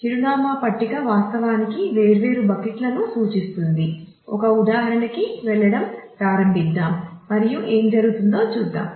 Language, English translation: Telugu, So, then the address table will actually point to different buckets let us start moving to an example and see what is happening